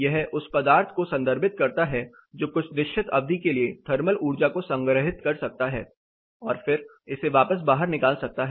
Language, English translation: Hindi, It refers to the material which can store thermal energy and then for an extended period of course, and then give it back outside, release it outside